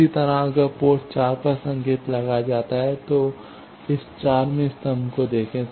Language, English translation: Hindi, Similarly if signal is applied at port 4, look at this 4th column